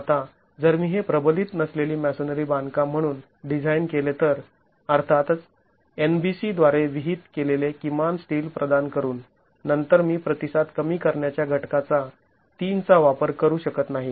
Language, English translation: Marathi, Now if I were to design this as an unreinforced masonry construction, of course providing minimum steel prescribed by the NBC, then I cannot use a response reduction factor of three